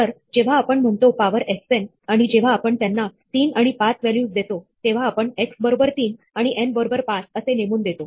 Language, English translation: Marathi, So, when we say power x n, and we call it values with 3 and 5, then we have this assignment x equal to 3 and n equal to 5